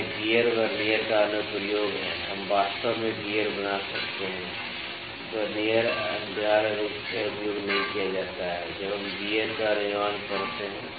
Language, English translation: Hindi, So, this is the application of the gear Vernier, we can actually gear Vernier is not essentially used while we manufacture the gears